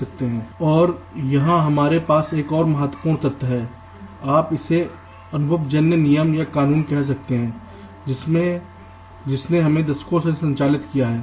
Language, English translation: Hindi, and here we have another very important, you can say, empirical rule or law that has driven us over decades